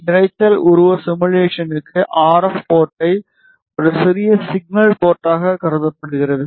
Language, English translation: Tamil, For noise figure simulation, the RF port is treated as a small signal port